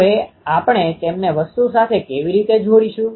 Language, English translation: Gujarati, Now, how do we connect them to the thing